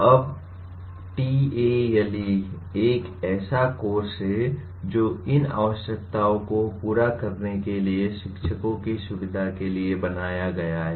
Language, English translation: Hindi, Now, TALE is a course that is designed to facilitate teachers to meet these requirements